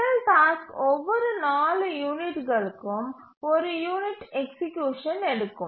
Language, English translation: Tamil, The first task takes one unit of execution every four units